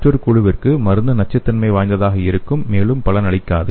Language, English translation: Tamil, To other group the drug is toxic and not beneficial